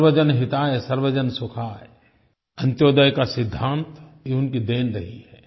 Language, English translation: Hindi, 'Sarvajan Hitay Sarvajan Sukhay', the principle of ANTYODAY these are his gifts to us